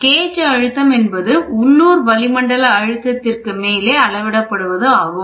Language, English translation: Tamil, Gauge pressure is measured above the local atmospheric pressure that is gauge pressure